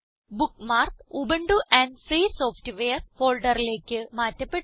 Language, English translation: Malayalam, The bookmark is moved to the Ubuntu and Free Software folder